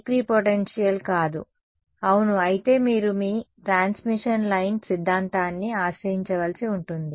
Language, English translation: Telugu, Then it is not the equipotential, if yeah then you have to take recourse to your transmission line theory